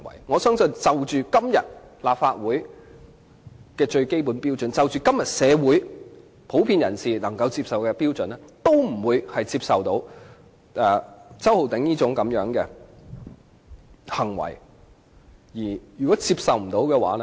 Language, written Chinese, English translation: Cantonese, 我相信，無論是按今天立法會最基本的標準，或按今天社會普遍人士能夠接受的標準，周浩鼎議員的這種行為都是不能接受的。, I believe that such behaviour of Mr Holden CHOW is unacceptable whether by the basic standards upheld by the Legislative Council today or by the standards generally acceptable to members of the community today